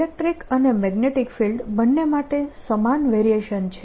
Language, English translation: Gujarati, same variation for both electric and magnetic field